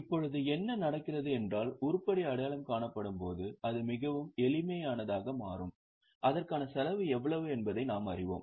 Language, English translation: Tamil, Now, what happens is when the item is identifiable, it becomes very simple, we know how much is a cost for it